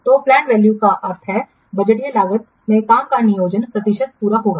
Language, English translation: Hindi, So plant value means the planned percentage completion of work into budgeted cost